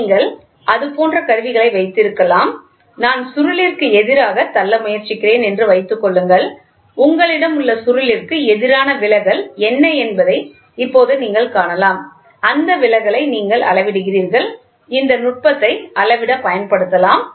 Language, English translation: Tamil, You can also have instruments like that, suppose I try to push against the spring and you can now see what is the deflection against the spring you have, you measure that deflection and that is also can be used this technique also can be used for measuring